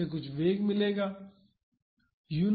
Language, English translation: Hindi, So, this will get some velocity